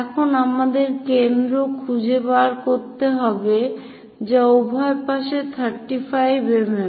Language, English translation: Bengali, Now, we have to locate foci which is at 35 mm on either side